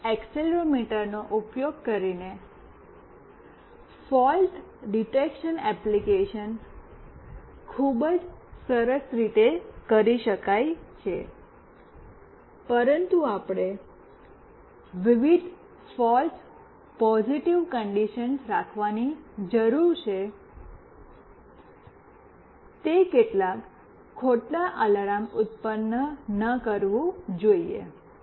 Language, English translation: Gujarati, This fault detection application can be very nicely done using this accelerometer, but we need to keep various false positive conditions, it should not generate some false alarm